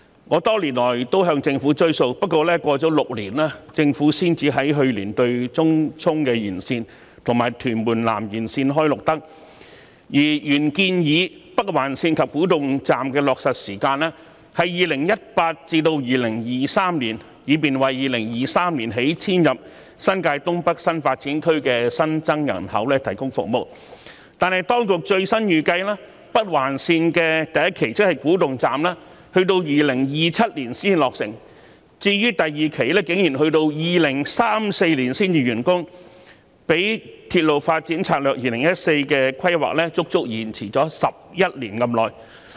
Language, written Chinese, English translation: Cantonese, 我多年來也向政府"追數"，而過了6年，政府才在去年對東涌綫延綫和屯門南延綫"開綠燈"，而原來建議北環綫及古洞站的落實時間是2018年至2023年，以便為2023年起遷入新界東北新發展區的新增人口提供服務，但當局最新預計北環綫第一期，亦即古洞站要到2027年才落成，第二期竟然要到2034年才能完工，較《鐵路發展策略2014》的規劃足足延遲11年之久。, Over the years I have been urging the Government to honour its promises . Six years have passed and the Government gave the green light to the Tung Chung Line Extension and Tuen Mun South Extension only last year and while the Northern Link and Kwu Tung Station were originally proposed for completion from 2018 to 2023 in order to provide service for the new population intake in the new development areas in Northeast New Territories from 2023 onwards the latest projection of the authorities is that Phase 1 of the Northern Link ie . Kwu Tung Station will be completed only in 2027 and worse still Phase 2 will be completed only in 2034 a delay of 11 years compared to the plan in the Railway Development Strategy 2014